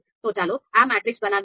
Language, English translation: Gujarati, So let us create this matrix